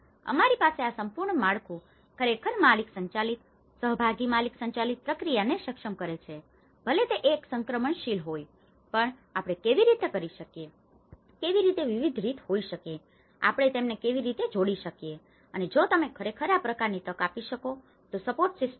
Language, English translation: Gujarati, We have this whole framework actually enables the owner driven, participatory owner driven process, even though it is a transitional but how we can, what are the different ways, how we can engage them and how if you can actually give this kind of support systems